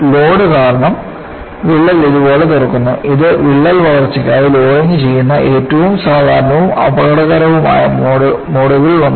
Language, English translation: Malayalam, Because of the load, the crack opens up like this, this is one of the most common and dangerous modes of loading for crack growth